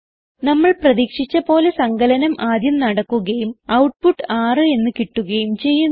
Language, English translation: Malayalam, As we can see, addition has been performed first and the output is 6 as expected